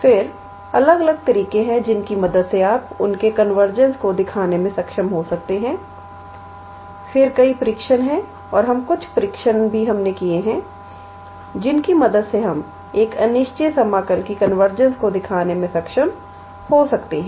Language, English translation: Hindi, Then, there are different different methods with the help of which you can be able to show their convergence, then there are several tests and we also worked out few tests with the help of which we can be able to show the convergence of an improper integral